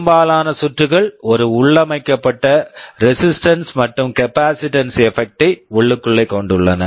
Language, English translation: Tamil, Most of the circuits have a built in resistance and capacitance effect inside it